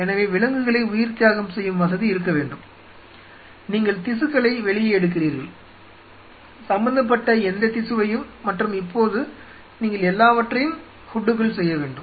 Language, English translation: Tamil, So, you have to have an animal sacrificing facility and you take the tissue out whatever concern tissue and now you have to do everything in the hood